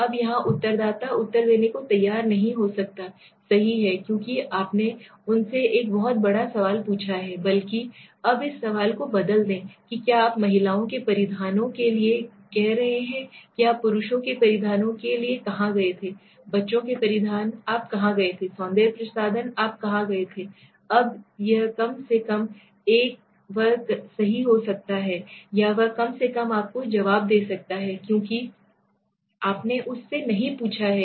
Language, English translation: Hindi, Now here the respondent might not be willing to answer right, because you have asked him a very big question rather now let s change the question what you are saying for women s dresses where did you go for men s apparel where did you go, children s apparel where did you go, cosmetics where did you go okay, now this is rather little simpler right he can at least or she can at least answer you because you have not asked him at one go